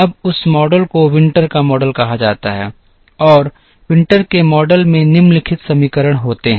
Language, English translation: Hindi, Now, that model is called the Winter’s model and the Winter’s model has the following equations